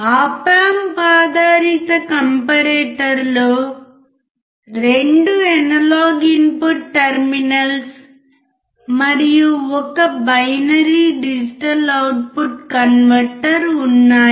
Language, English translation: Telugu, Op Amp based comparator has two analog input terminals and 1 binary digital output converter